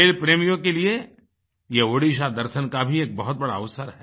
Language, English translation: Hindi, This is a chance for the sports lovers to see Odisha